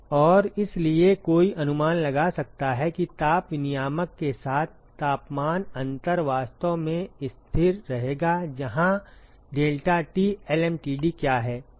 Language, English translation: Hindi, And so one could guess that the temperature difference along the heat exchanger will actually be constant, what is deltaT lmtd here